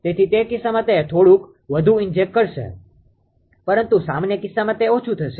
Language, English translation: Gujarati, So, in that case it will be it will be little bit more it will inject, but in general case it will be less